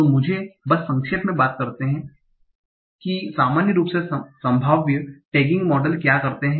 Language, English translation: Hindi, So, let me just briefly talk about what in general the probabilistic tagging models do